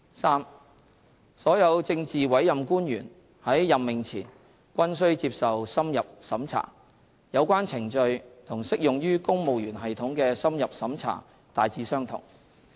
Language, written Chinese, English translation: Cantonese, 三所有政治委任官員在任命前均須接受深入審查，有關程序與適用於公務員系統的深入審查大致相同。, 3 All PAOs are required to undergo extended checking before appointment . The procedures are largely the same as those adopted for extended checking in the civil service